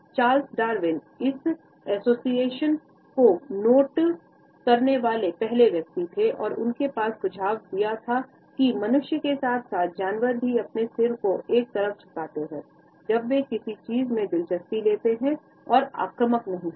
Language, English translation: Hindi, Charles Darwin was the first to note this association and he had suggested that human beings as well as animals tilt their heads to one side, when they become interested in something and are not aggressive